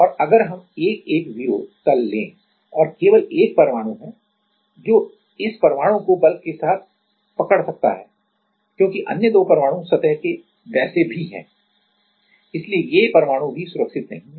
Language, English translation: Hindi, And if we take 1 1 0 plane and there is only 1 atom which can hold this atom to the with the bulk because the other two atoms are anyway of the surface, so these atoms are also not safe